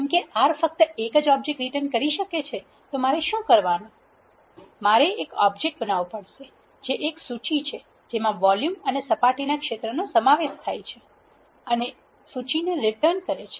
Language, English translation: Gujarati, Since R can written only one object what I have to do is I have to create one object which is a list that contains volume and surface area and return the list